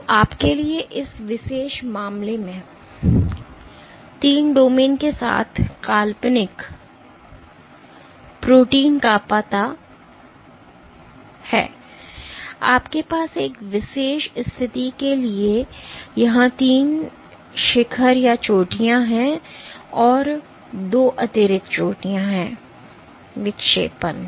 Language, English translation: Hindi, So, in this particular case for the you know imaginary protein with three domains you have three peaks plus two additional peaks here for one particular situation; deflection